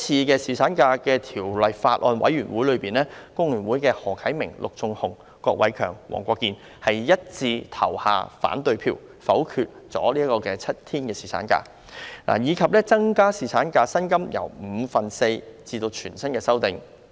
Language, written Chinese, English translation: Cantonese, 在《2018年僱傭條例草案》委員會的會議上，工聯會的何啟明議員、陸頌雄議員、郭偉强議員及黃國健議員一致投下反對票，否決了7日侍產假的建議及把侍產假薪金由五分之四增至全薪的修正案。, At a meeting of the Bills Committee on Employment Amendment Bill 2018 Mr HO Kai - ming Mr LUK Chung - hung Mr KWOK Wai - keung and Mr WONG Kwok - kin from FTU unanimously voted down the seven - day paternity leave proposal and the amendments for increasing the paternity leave pay rate from four fifths of the daily wages to full pay